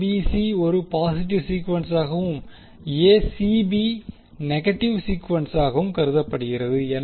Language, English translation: Tamil, So, ABC is considered as a positive sequence and a ACB is considered as a negative phase sequence